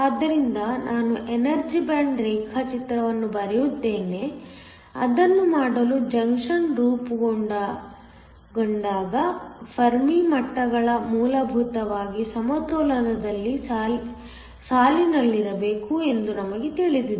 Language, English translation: Kannada, So, Let me draw the energy band diagram, when the junction is formed to do that we know that the Fermi levels must essentially line up at equilibrium